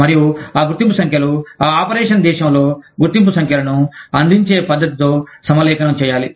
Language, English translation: Telugu, And, those identification numbers, have to be aligned, with the method of providing, identification numbers, in that country of operation